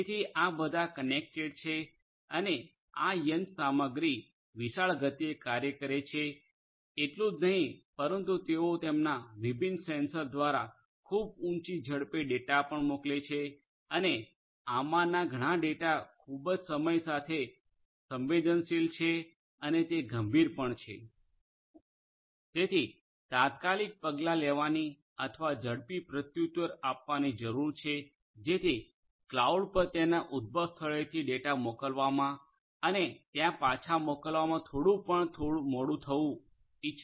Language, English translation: Gujarati, So, all of these are connected and these machines are operating at huge speeds not only that, but they are also sending data through their different sensors at very high speeds and many of this data are very time sensitive and could be critical